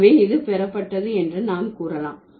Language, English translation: Tamil, So, we can say this is derived